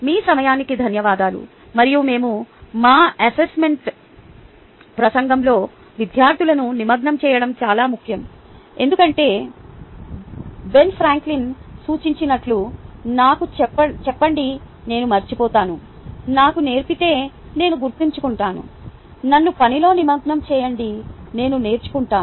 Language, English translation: Telugu, thank you all for your time and its important that we engage students in our assessment talk because, as pointed by ben franklin, tell me and ill forget, teach me and i will remember, involve me and ill learn